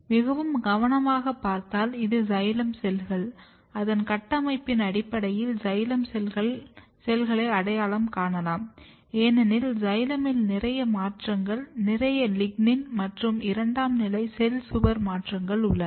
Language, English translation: Tamil, So, if you look very carefully this is the xylem cells, you can identify xylem cells based on its structure because xylem has lot of modifications, lot of lignin and secondary cell wall modification